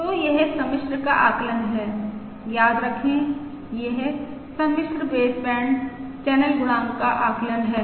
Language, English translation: Hindi, remember, this is the estimate of the complex baseband channel coefficient